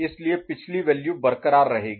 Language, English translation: Hindi, So, previous value will be retained